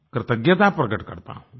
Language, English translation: Hindi, I also express my gratitude